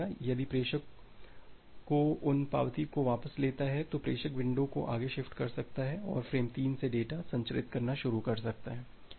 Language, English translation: Hindi, If the sender gets back those acknowledgement, then the sender can shift the window further and start transmitting the data from frame 3